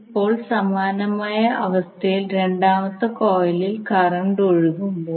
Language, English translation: Malayalam, Now similarly in this case when the current is flowing in second coil